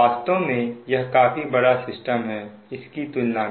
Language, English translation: Hindi, actually, this, this is a very large system compared to the shift